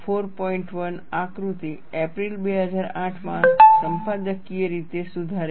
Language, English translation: Gujarati, 1 editorially corrected in April 2008